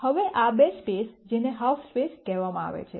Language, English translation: Gujarati, Now these two spaces are what are called the half spaces